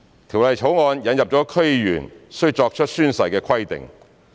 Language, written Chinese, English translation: Cantonese, 《條例草案》引入了區議員須作出宣誓的規定。, The Bill introduces the oath - taking requirement for DC members